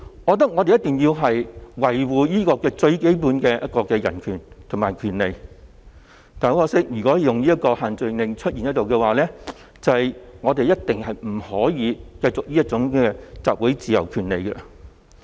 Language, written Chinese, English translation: Cantonese, 我認為我們一定要維護最基本的人權和權利，但如果限聚令仍存在，我們一定不可以繼續行使集會權利。, To me our fundamental human rights and other rights should be safeguarded but if the social gathering restriction remains in place we will definitely be unable to continue to exercise our right to assembly